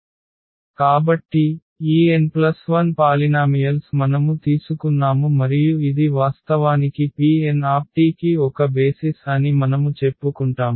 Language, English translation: Telugu, So, these n plus 1 polynomials rights these are n plus 1 polynomials, we have taken and we claim that this is a basis actually for P n t